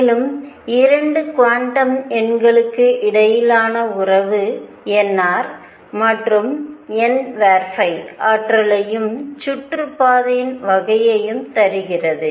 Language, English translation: Tamil, And the relationship between 2 quantum numbers namely n r and n phi gives the energy and the type of orbit